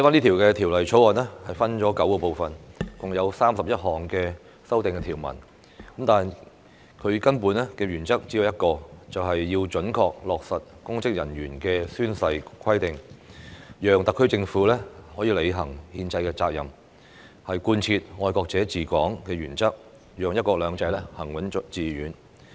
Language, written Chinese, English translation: Cantonese, 《條例草案》分成9個部分，共有31項修訂條文，但根本原則只有一個，就是要準確落實公職人員的宣誓規定，讓特區政府履行憲制責任，貫徹"愛國者治港"的原則，讓"一國兩制"行穩致遠。, The Bill consists of nine parts with a total of 31 amendments . Nevertheless there is only one fundamental principle and that is accurately implementing the oath - taking requirements for public officers so that the SAR Government can fulfil the constitutional duties and adhere to the principle of patriots administering Hong Kong to ensure the steadfast and successful implementation of one country two systems